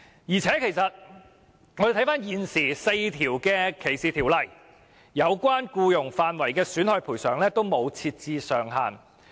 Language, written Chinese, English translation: Cantonese, 再者 ，4 項現行的歧視條例均沒有就僱傭事宜的損害賠償設定上限。, What is more no caps are set on damages awarded for employment cases in the four existing discrimination ordinances